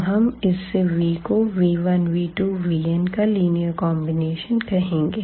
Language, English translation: Hindi, Then we call that this v is a linear combination of the vectors v 1, v 2, v 3, v n